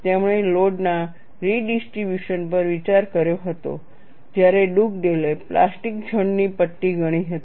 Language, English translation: Gujarati, He had considered redistribution of load, whereas Dugdale considered a strip of plastic zone